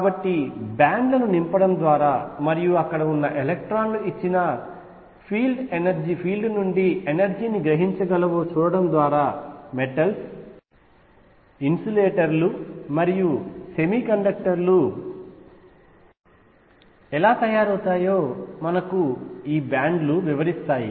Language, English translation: Telugu, So, bands explain how metals insulators and semiconductors arise by filling bands and seeing if electrons there can absorb energy from an applied field